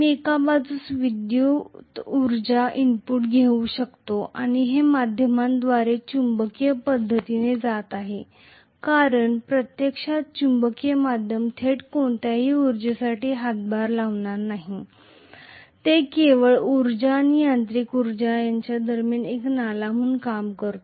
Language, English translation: Marathi, So I can have actually on one side I can have electrical energy input and it is going to go through a magnetic via media because actually the magnetic medium is not going to contribute towards any energy directly, it is only serving as a conduit between the electrical energy and mechanical energy